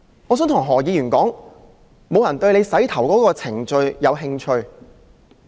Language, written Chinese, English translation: Cantonese, 我想對何議員說，沒有人對他洗髮的程序有興趣。, I wish to tell Dr HO that nobody is interested in how he washes his hair